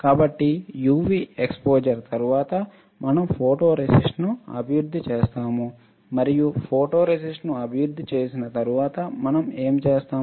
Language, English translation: Telugu, So, after UV exposure, we will develop the photoresist and what we will find after developing the photoresist